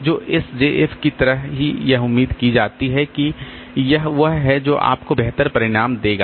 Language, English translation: Hindi, So, just like S JF it is expected that it will give you better result